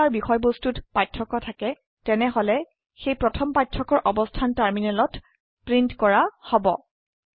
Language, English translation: Assamese, If there are differences in their contents then the location of the first mismatch will be printed on the terminal